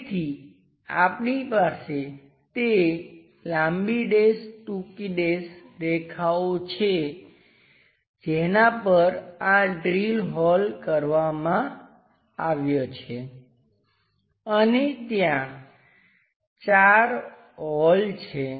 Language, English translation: Gujarati, So, we have that long dash, short dash lines on which these holes has been have been drilled and there are four holes